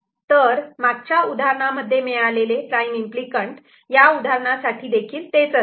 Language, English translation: Marathi, So, the prime implicants that we had got in the previous example will be this one in this particular example as well